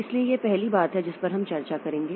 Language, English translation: Hindi, So, this is the first thing that we will discuss